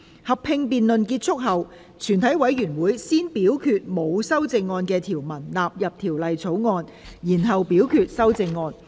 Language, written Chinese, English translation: Cantonese, 合併辯論結束後，全體委員會會先表決沒有修正案的條文納入《條例草案》，然後表決修正案。, Upon the conclusion of the joint debate the committee will first vote on the clauses with no amendment standing part of the Bill and then vote on the amendments